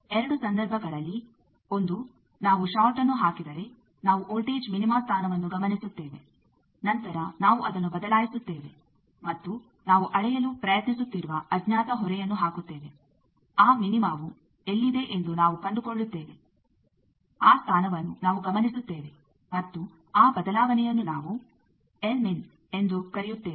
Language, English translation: Kannada, In two cases one is if we put a short we will note down the voltage minima position, then we will change that and put a unknown load which we are trying to measure we will find out where is the minima we will note that position, that shift we are calling l mean